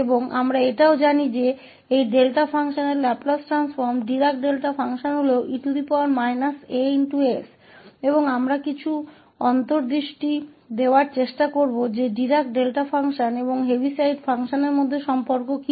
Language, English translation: Hindi, So, and we also know that the Laplace transform of this Delta function Dirac Delta function is e power minus as and we will try to give some intuition that what is the relation between this Dirac Delta function and this Heaviside function